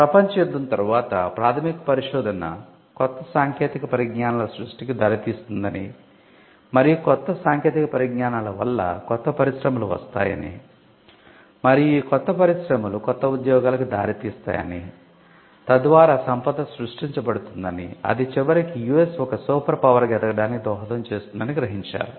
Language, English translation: Telugu, Now, soon after the world war it was felt that basic research would lead to creation of new technologies and the creation of new technologies would lead to new industries and new industries would lead to new jobs, thereby creation of wealth and eventually US becoming or maintaining its role as a superpower